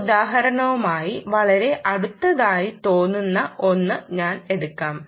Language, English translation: Malayalam, i just took the one that seems to be very close um to this example